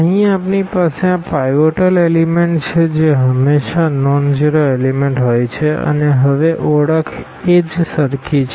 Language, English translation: Gujarati, Here we have these pivot elements which are always nonzero elements and, now what exactly the same identification